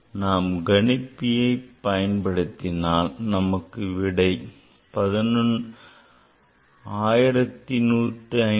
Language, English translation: Tamil, So, if you use calculator, so calculator will give 1157